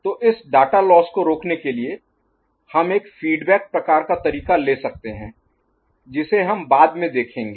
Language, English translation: Hindi, So, to prevent this data being lost and all, so you can have a feedback kind of mechanism that we shall see later ok